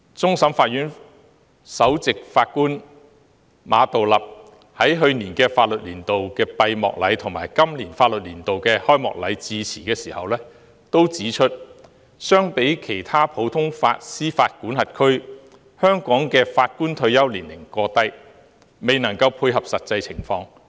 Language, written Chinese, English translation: Cantonese, 終審法院首席法官馬道立在去年法律年度的閉幕禮及今年法律年度的開幕禮致辭時均指出，相比其他普通法司法管轄區，香港法官的退休年齡過低，未能配合實際情況。, As pointed out in the speeches delivered by the Chief Justice of CFA Geoffrey MA at the closing ceremony of the last Legal Year and the Ceremonial Opening of this Legal Year the retirement age of judges in Hong Kong is too low compared with that of other common law jurisdictions and does not tie in with the actual situation